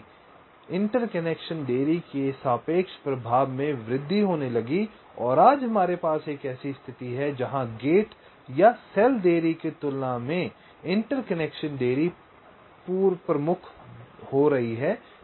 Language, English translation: Hindi, so the relative impact of the interconnection delays started to increase and today we have a situation where the interconnection delay is becoming pre dominant as compare to the gate or cell delays